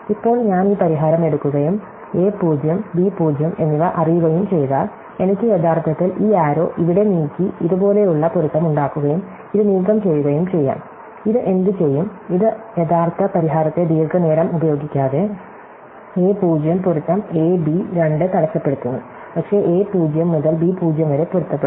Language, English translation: Malayalam, So, now, if I take this solution and I know the a 0 and b 0, then I can actually move this arrow here and make it match like this and remove this, what will this do, it disturb the original solution by no long using a 0 match a b 2, but, a 0 match to b 0